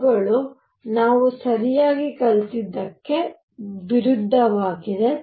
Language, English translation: Kannada, These are contradicting whatever we have learnt right